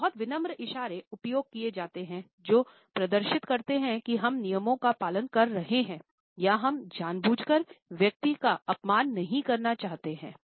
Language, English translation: Hindi, So, many of used as polite gestures which demonstrate that we are following the rules or we do not want to deliberately offend the person